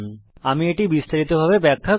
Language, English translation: Bengali, Let me explain this in detail